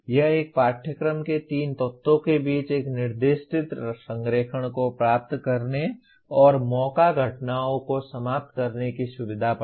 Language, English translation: Hindi, It can facilitate achieving a specified alignment among the three elements of a course and eliminate chance occurrences